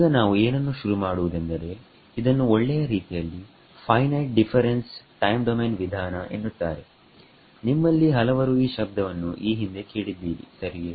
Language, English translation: Kannada, What we will start now is what is called the Finite Difference Time Domain Method alright; many of you may have heard this word in the past right